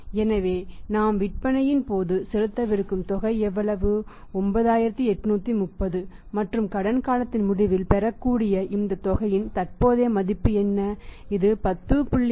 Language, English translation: Tamil, So, how much is the amount which we are going to pay at the point of sales 9830 and what is the present value of this amount receivable after the say at the end of the credit period that is 10